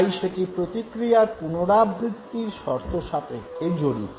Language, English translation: Bengali, So therefore it is contingent upon the reoccurrence of the response